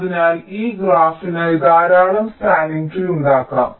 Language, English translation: Malayalam, ok, so for this graph, there can be so many possible spanning trees